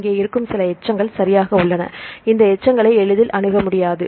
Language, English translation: Tamil, So, some residues which are here alright, these residues are not easily accessible